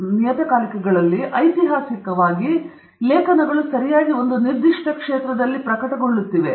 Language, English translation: Kannada, So, in those journals, historically, articles have been getting published in a very specific area okay